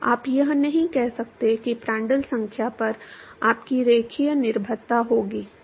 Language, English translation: Hindi, You cannot say that you will have a linear dependence on Prandtl number